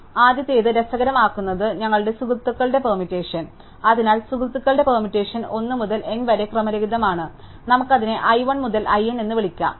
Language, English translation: Malayalam, So, what is early interesting is our friends permutation, so the friends permutation is some order of 1 to n jumbled up, let us call it i 1 to i n